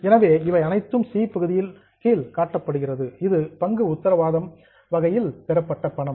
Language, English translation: Tamil, So, all these are shown under item number C that is money received against share warrant